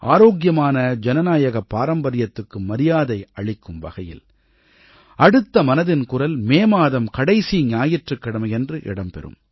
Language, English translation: Tamil, In maintainingrespect for healthy democratic traditions, the next episode of 'Mann KiBaat' will be broadcast on the last Sunday of the month of May